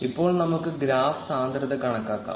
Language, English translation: Malayalam, Now let us compute the graph density